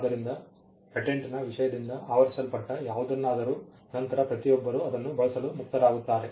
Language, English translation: Kannada, So, whatever was covered by the subject matter of a patent, will then be free for everybody to use it